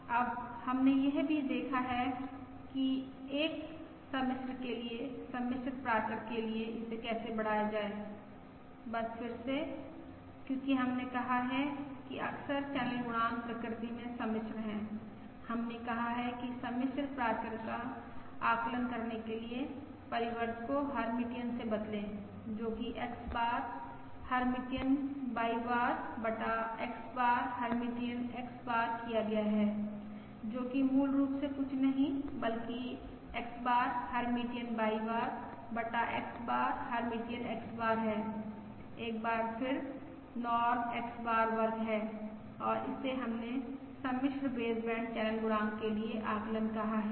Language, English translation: Hindi, Now we have also seen that for a complex how to extend this for complex parameter, just again, because we have said that frequently the channel coefficient is complex in nature we have said the estimate of the complex parameter is simply replace the transpose, while Hermitian, that is X bar, Hermitian Y bar divided by X bar, Hermitian X bar, which is basically nothing but again X bar, Hermitian Y bar divided by X bar, Hermitian X bar, is once again Norm X bar square